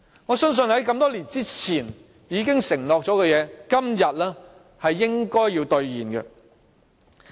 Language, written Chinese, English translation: Cantonese, 我相信，在這麼多年以前已承諾的事情，今天應該要兌現。, I think that this promise made years ago should be honoured today